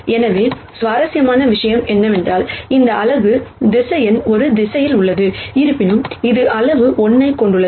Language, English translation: Tamil, So, the interesting thing is that, this unit vector is in the same direction as a; however, it has magnitude 1